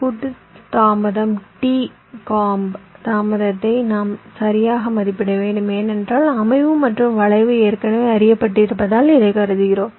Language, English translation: Tamil, we need to estimate the combinational delay t comb delay right, because setup and skew are already known, i am assuming